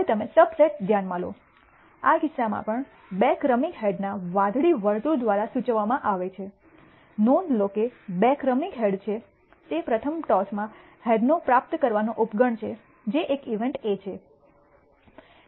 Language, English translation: Gujarati, Now you can consider a subset, in this case even be denoted by the blue circle of two successive heads notice two successive heads it is a subset of receiving a head in the first toss which is A event A